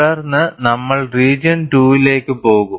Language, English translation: Malayalam, Then we will move on to region 2